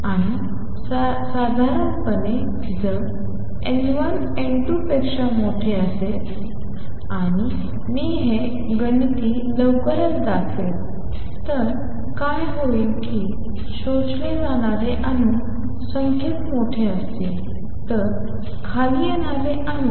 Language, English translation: Marathi, And normally, if N 1 is greater than N 2 and I will show this mathematically soon then what would happen is that atoms that are getting absorbed would be larger in number then the atoms that are coming down